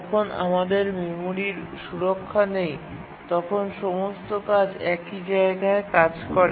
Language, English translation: Bengali, When we don't have memory protection, all tasks operate on the same address space